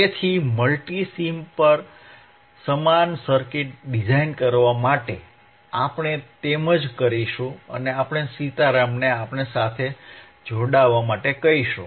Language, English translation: Gujarati, So, for designing the same circuit on the mMulti samesim, we will do the same thing and we will ask Sitaram to join us